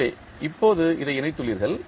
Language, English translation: Tamil, So now, you have connected this